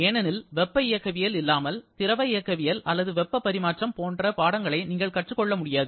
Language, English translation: Tamil, Because without thermodynamics, you can’t learn courses like fluid mechanics or heat transfer